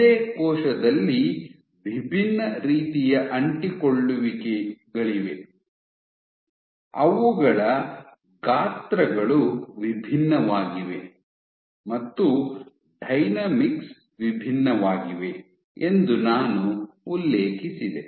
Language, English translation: Kannada, So, I also mentioned that in the same cell you have different types of adhesions, their sizes are different the dynamics is different